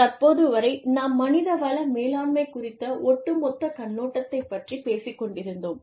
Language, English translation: Tamil, Till now, we were talking about, human resources, from the overall perspective